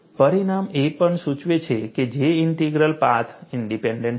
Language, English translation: Gujarati, The result also indicates that J Integral is path independent